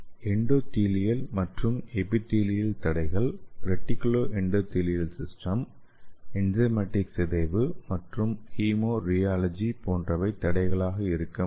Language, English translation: Tamil, Some of the barriers are like endothelial and epithelial barrier and reticulo endothelial system, enzymatic degradation and hemo rheology